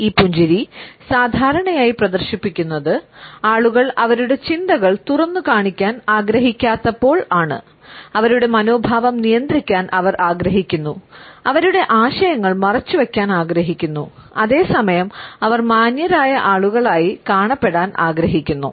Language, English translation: Malayalam, This smile is normally exhibited, when people do not want to opened up with thoughts, they want to restrain their attitudes, they want to conceal their ideas and at the same time they want to come across as affable people